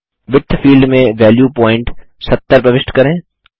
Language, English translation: Hindi, In the Width field, enter the value point .70